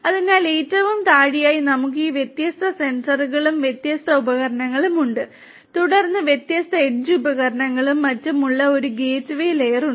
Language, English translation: Malayalam, So, at the very bottom we have these different sensors and different devices then there is a gateway layer which has different edge devices and so on